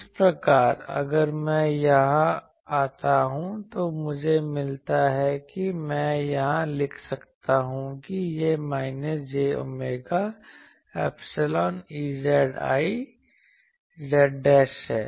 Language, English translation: Hindi, So, this if I put here I get or I can write here, that this is minus j omega epsilon E z i Z dashed Z ok